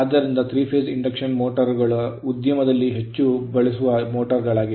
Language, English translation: Kannada, So, 3 phase induction motors are the motor most frequency encountered in industry